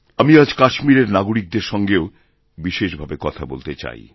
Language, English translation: Bengali, I also wish today to specially talk to those living in Kashmir